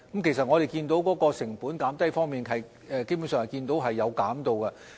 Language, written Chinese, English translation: Cantonese, 其實，我們看到在成本方面，基本上是有減低的。, In fact we notice that the costs concerned have basically been lowered